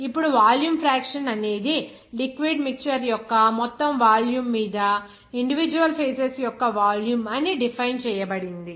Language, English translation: Telugu, Now, the volume fraction will be defined as that the volume of individual phases upon the total volume of the phase mixture